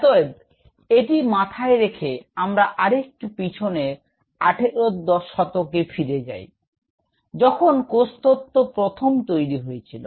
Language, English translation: Bengali, So, keeping this mind, let us go little back to 18th century, when the cellular theory was which was given